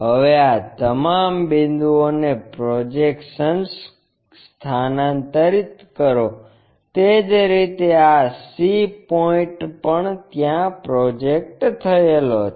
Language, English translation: Gujarati, Now, transfer all these points the projection, similarly this c point also projected there